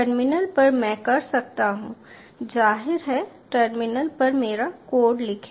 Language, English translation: Hindi, i can obviously ah write my code on the terminal